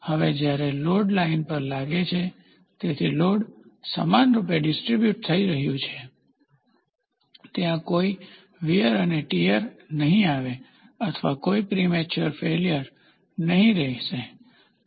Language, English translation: Gujarati, Now when the load rests on the line, so the load is getting uniformly distributed, there will not be any wear and tear or there will not be any premature failure